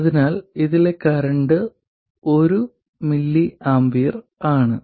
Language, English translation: Malayalam, So, the current in this is 1 millie ampere